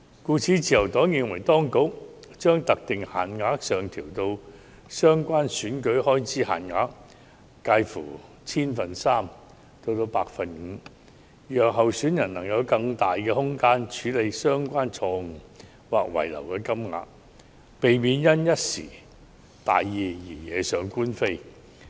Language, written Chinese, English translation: Cantonese, 因此，自由黨認同當局將特定限額上調至佔相關選舉開支限額介乎 0.3% 至 5%， 讓候選人有更大空間處理相關錯誤或遺漏金額，避免因一時大意而惹上官非。, The Liberal Party therefore agrees to the authorities proposal that the prescribed limits as a percentage of the respective EELs should be adjusted upwards to range from 0.3 % to 5 % to allow candidates more room to rectify their minor errors or omissions so that they will not be caught by the law inadvertently